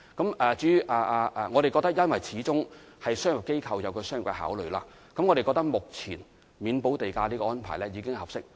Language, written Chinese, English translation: Cantonese, 由於商業機構始終有商業的考慮，我們認為目前豁免土地補價的安排已經合適。, As commercial enterprises will after all have their business considerations we consider that the existing arrangement of waving the land premium is appropriate